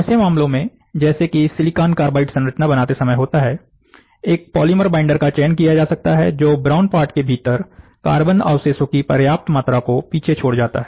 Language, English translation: Hindi, In such a case, such as, when creating SiC structure, a polymer binder can be selected, which leaves behind the significant amount of carbon residue within the brown part